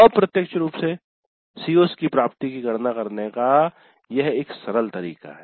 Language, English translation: Hindi, But this is one simple way of computing the attainment of COs in an indirect fashion